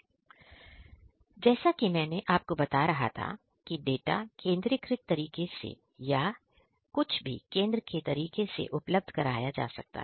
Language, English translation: Hindi, So, I was telling you that after all this data are made available in a centralized manner or some decentralized manner as well